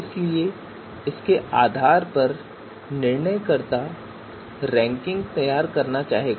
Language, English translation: Hindi, So based on this the decision maker would like to you know introduce the rankings